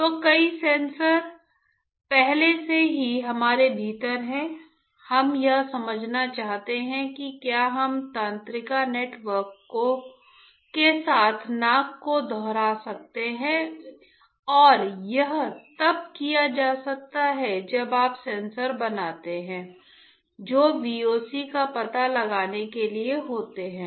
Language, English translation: Hindi, So, many sensors are already within us, what we want to understand is can we replicate the nose with the neural network and that can be done when you fabricate sensors which are meant to detect VOCs